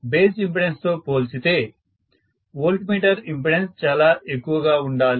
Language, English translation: Telugu, Compare to the base impedance, the voltmeter impedance has to be quite higher, then I am fine